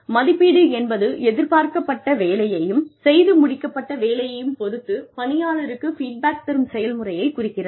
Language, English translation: Tamil, Appraisal is the process by which, or through which, an employee is given feedback, regarding the kind of work, that was expected, and the work that has actually been done